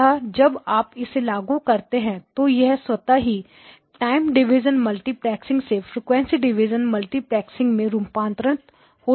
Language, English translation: Hindi, So when you apply them you automatically get the translation from time division multiplexing to frequency division multiplexing